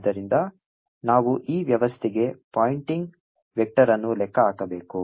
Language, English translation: Kannada, now we have to calculate the pointing vector